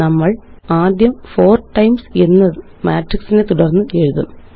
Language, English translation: Malayalam, We will first write 4 times followed by the matrix